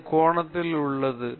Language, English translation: Tamil, is also about this angle